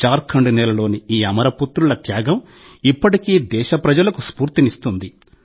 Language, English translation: Telugu, The supreme sacrifice of these immortal sons of the land of Jharkhand inspires the countrymen even today